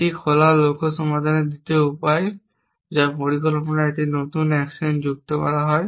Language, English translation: Bengali, That the second way of in solving the open goal which is to add an new action to the plan how do we add an action to the plan